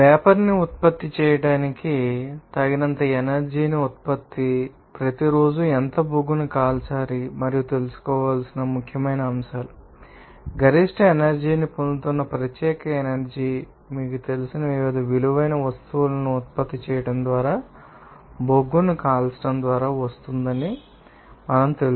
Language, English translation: Telugu, Another important aspects where the energy is required to know that how much coal must be burned each day to produce enough energy to generate the steam, we know that particular energy we are getting maximum energy is coming from burning of coal by producing different valuable you know, gases mixture and from which we are separating and then we are getting different type of useful products and daily life